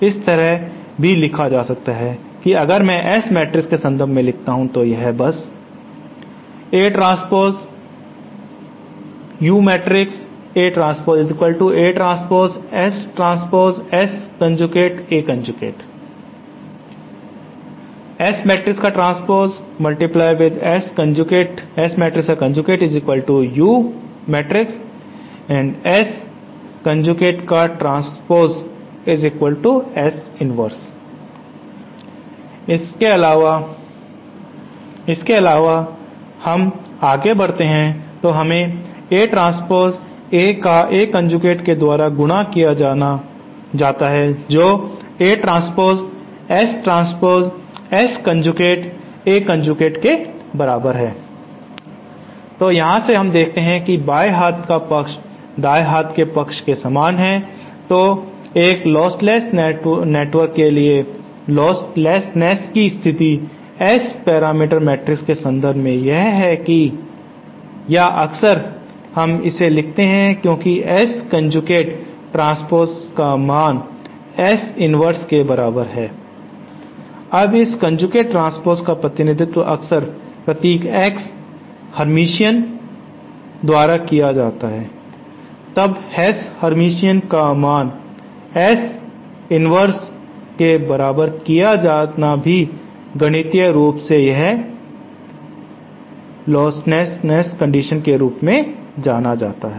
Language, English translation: Hindi, This in turn can be written as, if I now express in terms of the S matrix then this simply becomesÉ Further if we proceed then we get A transpose A multiplied by A conjugate is equal to A transpose S transpose S conjugate so from here we see that the left hand side and right hand side are similar so then for a lostless network the condition of lostlessness in terms of the S parameters matrix is this or we often sometimes write this as S conjugate transpose is equal to S inverse